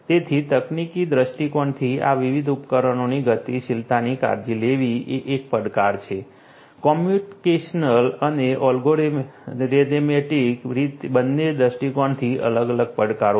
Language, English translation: Gujarati, So, taken care of mobility of these different devices from a technical point of view is a challenge; technical both from a communication and a algorithmic point of view there are different challenges